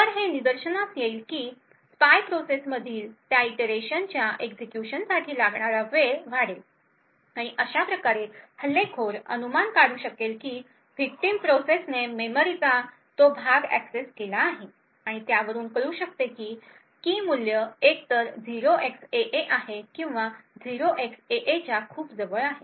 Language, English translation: Marathi, So this would be observed by an increase in the execution time for that iteration in the spy process and thus the attacker can infer that the victim process has accessed that portion of memory and from that could infer that the key value is either 0xAA or something very close to 0xAA